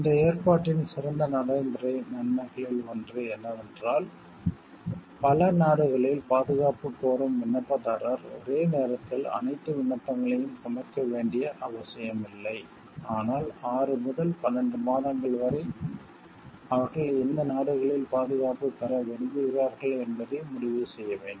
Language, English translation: Tamil, One of the great practical advantages of this provision is that applicant seeking protection in several countries are not required to present all of their applications at the same time, but have 6 to 12 months to decide in which countries they wish to seek protection and to organize with due care the steps necessary for securing protection